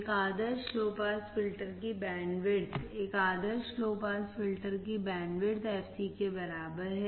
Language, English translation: Hindi, The bandwidth of an ideal low pass filter, the bandwidth of an ideal low pass filter is equal to fc